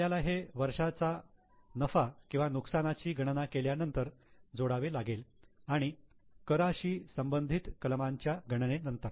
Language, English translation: Marathi, We have to add it after profit or loss for the year, even after calculating the taxation related items